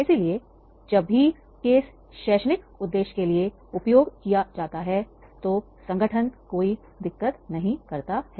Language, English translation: Hindi, So, whenever for the academic purpose case is used, then the organizations do not have any problem